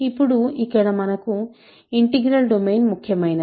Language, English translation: Telugu, Now, here is where integral domain is important